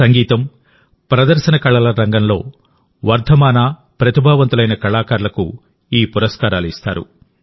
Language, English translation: Telugu, These awards were given away to emerging, talented artists in the field of music and performing arts